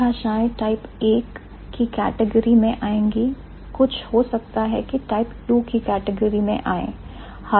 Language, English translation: Hindi, So, some languages might fall in the type 1 category, some might fall in the type 2 category